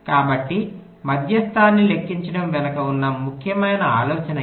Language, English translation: Telugu, so the essential idea behind calculating median is this, right